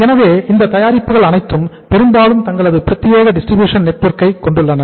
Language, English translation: Tamil, So all these products largely they have their own exclusive distribution network